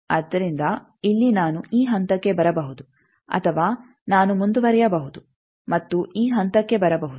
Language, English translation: Kannada, So, here I can either come to this point or I can continue and come to this point